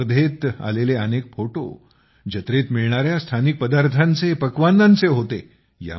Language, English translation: Marathi, In this competition, there were many pictures of local dishes visible during the fairs